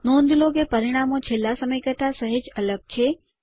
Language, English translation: Gujarati, Observe that the results are slightly different from last time